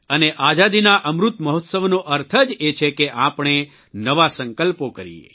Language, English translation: Gujarati, And the Amrit Mahotsav of our freedom implies that we make new resolves…